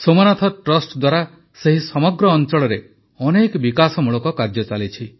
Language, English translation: Odia, Many works for the development of that entire region are being done by the Somnath Trust